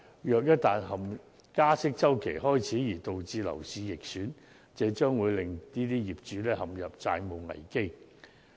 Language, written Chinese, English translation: Cantonese, 因此，一旦加息周期開始導致樓市逆轉，將會令這些業主陷入債務危機。, Therefore once the interest hike cycle begins and causes the property market to take a sharp turn these property owners will be heavily in debt